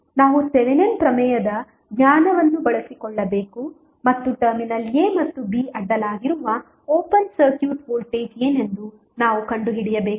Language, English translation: Kannada, We have to utilize our the knowledge of Thevenin's theorem and we need to find out what would be the open circuit voltage across terminal a and b